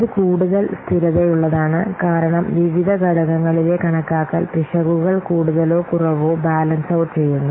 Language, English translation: Malayalam, It is more stable because the estimation errors in the various components more or less balanced out